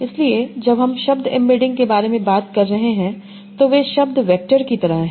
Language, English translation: Hindi, So when I am talking about word embeddings, so they are like word vectors